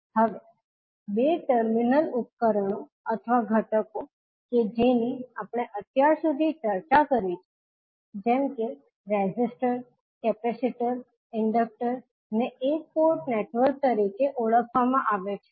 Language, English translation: Gujarati, Now, two terminal devices or elements which we discussed till now such as resistors, capacitors, inductors are called as a one port network